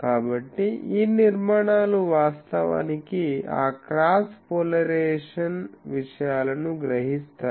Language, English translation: Telugu, So, these structures actually makes those cross polarization things absorbs